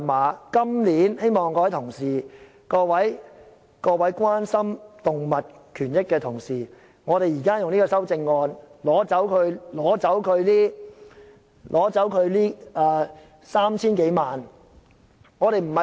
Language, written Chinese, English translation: Cantonese, 我今年希望各位同事，特別是關心動物權益的同事，可以通過這項修正案，削減漁護署 3,000 多萬元的撥款。, This year I hope Members especially those who are concerned about animal welfare can pass this amendment on cutting this 30 million funding for AFCD